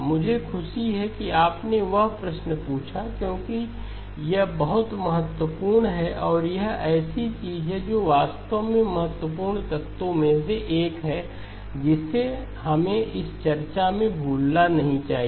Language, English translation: Hindi, I am glad you asked that question because that is a very important one and it is something that actually is one of the important elements we should not miss in this discussion okay